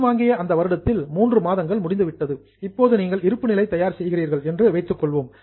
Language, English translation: Tamil, But even during the year, let us say three months are over and you are preparing a balance sheet